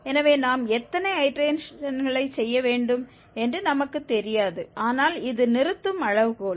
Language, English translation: Tamil, So, we don't know exactly how many iterations we have to do, but this is the stopping criteria